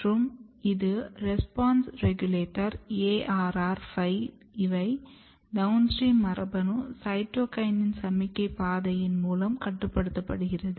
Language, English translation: Tamil, And this is ARR5 which is response regulators, and response regulators are basically downstream genes regulated by cytokinin signaling pathway